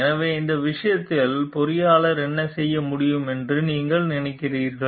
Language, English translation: Tamil, So, what do you think like the engineer can do in this case